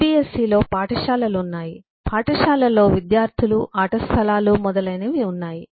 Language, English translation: Telugu, shco, cbse has schools, schools has students, play grounds and so on